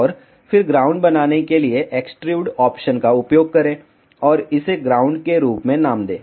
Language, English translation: Hindi, And then use extrude option to make ground and name it as ground